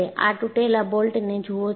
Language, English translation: Gujarati, You look at this broken bolt